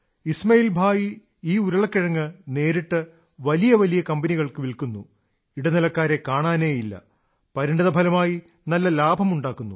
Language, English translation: Malayalam, Ismail Bhai directly sells these potatoes to large companies, the middle men are just out of the question